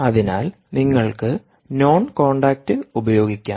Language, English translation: Malayalam, so you can use non contact